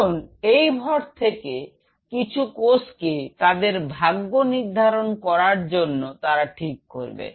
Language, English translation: Bengali, Now from this mass some of the cells decided that you know they will decide their own fate